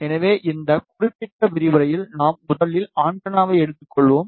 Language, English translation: Tamil, So, in this particular lecture we will be firstly taking antenna